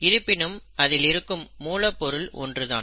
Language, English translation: Tamil, But, the basic material is the same